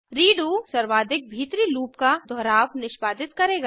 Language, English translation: Hindi, redo will execute the iteration of the most internal loop